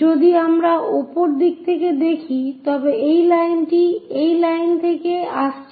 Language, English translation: Bengali, So, this line what we see coming from this line